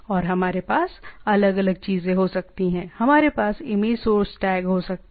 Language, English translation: Hindi, And we can have different things we can have image image resource tags